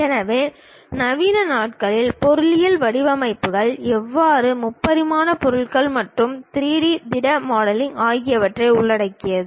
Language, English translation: Tamil, So, the modern days engineering designs always involves three dimensional objects and 3D solid modelling